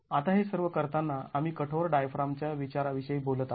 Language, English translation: Marathi, Now all this while we have been talking about a rigid diaphragm consideration